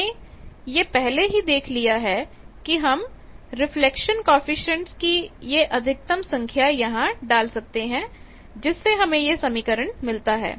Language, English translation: Hindi, Already, we have seen that this also that we can put a maximum value of the reflection coefficient that gives us this expression